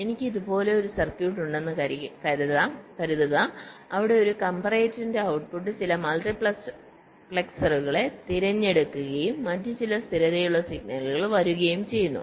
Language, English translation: Malayalam, suppose i have a circuit like this where the output of a comparator is selecting some multiplexers and also some other stable signal is coming